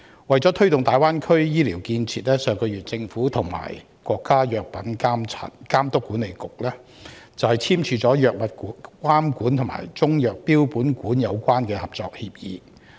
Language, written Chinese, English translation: Cantonese, 為了推動大灣區醫療建設，政府上月與國家藥品監督管理局簽署"藥物監管和中藥標本館相關合作協議"。, To promote health care facilities in the Greater Bay Area the Government and the National Medical Products Administration signed two cooperation agreements last month on the regulation of drugs and the Chinese Medicines Herbarium